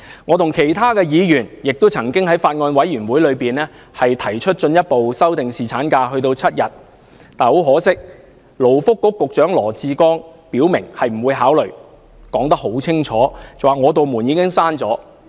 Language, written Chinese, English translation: Cantonese, 我與其他議員亦曾在法案委員會上，進一步要提出修訂侍產假至7天的建議，但勞工及福利局局長羅致光卻表明不會考慮，並清楚說明"我的門已經關上"。, At a meeting of the Bills Committee I together with other Members further proposed to increase paternity leave to seven days . But Secretary for Labour and Welfare Dr LAW Chi - kwong clearly stated that he would not consider this proposal and even said that my door is shut